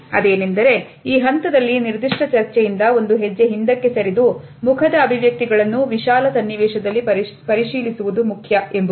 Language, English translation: Kannada, And I quote, “it is important at this stage to a step back from this specific debate and examine facial expressions in a broader context”